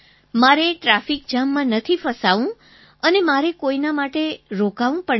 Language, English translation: Gujarati, I don't have to be caught in a traffic jam and I don't have to stop for anyone as well